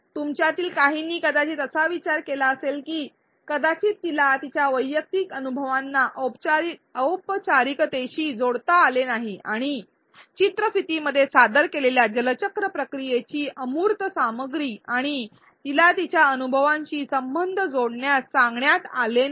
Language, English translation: Marathi, Some of you may have thought of the reason that perhaps she could not link her personal experiences to the formal and abstract content the water cycle process presented in the video and she was never asked to connect her experiences